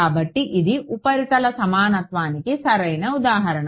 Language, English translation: Telugu, So, it is a perfect example of a surface equivalence